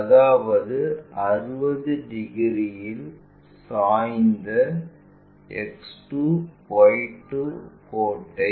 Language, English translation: Tamil, So, that means, draw X 2 Y 2 line inclined at 60 degrees to VP